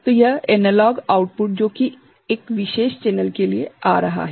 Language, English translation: Hindi, So, this analog output that is coming for a particular channel right